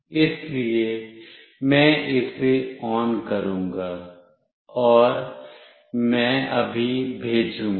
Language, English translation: Hindi, So, I will just ON it and I will just send